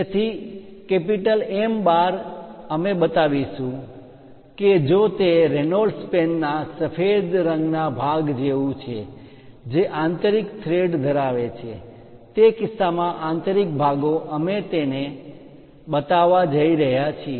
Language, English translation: Gujarati, So, M 12 we will show if it is something like the white color portion of that Reynolds pen, which is having internal thread then in that case internal portions we are going to show it